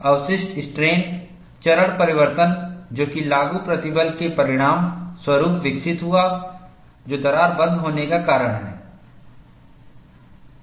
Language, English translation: Hindi, The residual strain, developed as a result of a phase transformation produced by applied stress, also causes crack closure